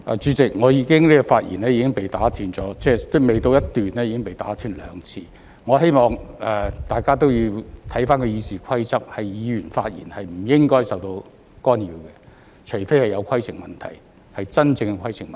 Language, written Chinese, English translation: Cantonese, 主席，我的發言未到一段已經被打斷兩次，我希望大家也要看回《議事規則》，議員發言是不應該受到干擾的，除非是有規程問題，即真正的規程問題。, President my speech had been interrupted twice before I reached the end of one paragraph . I hope that all of us refer back to the Rules of Procedure . A Members speech shall not be interrupted except for a point of order―a genuine point of order that is